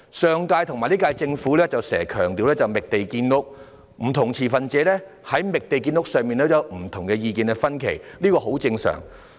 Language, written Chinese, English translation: Cantonese, 上屆和本屆政府時常強調"覓地建屋"，不同持份者在"覓地建屋"上也意見分歧，這是很正常的。, The previous and current terms of Government often emphasized finding land for housing development the views of different stakeholders on finding land for housing development are diverged this is quite normal